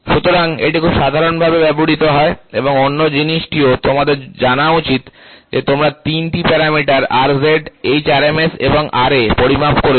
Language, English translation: Bengali, So, this is very commonly used and the other thing you should also know is you have measured three parameters R z, h RMS and Ra